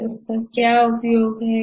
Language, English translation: Hindi, What will be its use